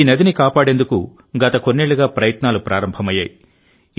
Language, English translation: Telugu, Efforts have started in the last few years to save this river